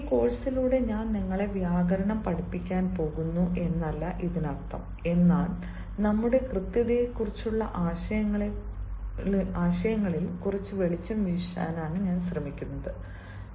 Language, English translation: Malayalam, this does not mean that i am going to teach you grammar through this course, but i am simply trying to throw some light on our notions of correctness